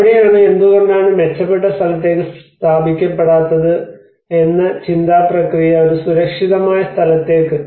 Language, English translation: Malayalam, So that is where the thought process of why not we relocate to a better place; a safer places